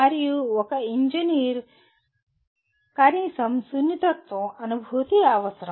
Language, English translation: Telugu, And that is what an engineer needs to at least feel sensitized to that